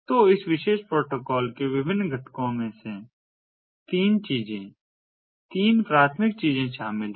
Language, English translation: Hindi, so the different components of this particular protocol include three things, three primary things